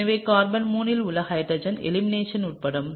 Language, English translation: Tamil, So, the hydrogen on carbon 3 can undergo elimination